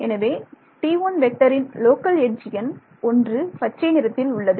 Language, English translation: Tamil, So, the local edge number is T is 1 in green right